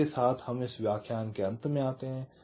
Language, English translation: Hindi, so with this ah, we come to the end of this lecture